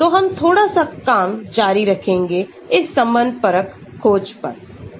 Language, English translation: Hindi, So, we will continue little bit on this conformational search